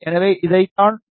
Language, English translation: Tamil, So, this is what it is then press ok